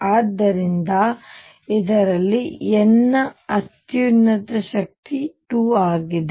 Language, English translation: Kannada, So, this highest power of n in this is 2